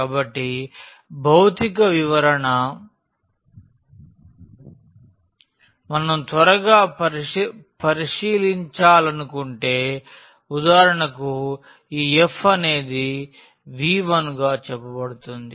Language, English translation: Telugu, So, again the physical interpretation if we want to take a quick look so, if for example, this f is said to V 1